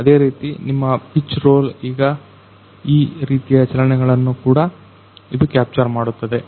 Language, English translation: Kannada, Similarly what is your pitch roll this kind of motion also this will capture